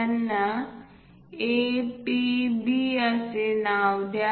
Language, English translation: Marathi, Let us name them A, P, B